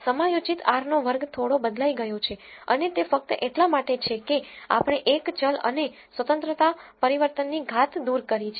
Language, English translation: Gujarati, The adjusted r square has changed a bit and that is only because we have removed one variable and the degrees of freedom change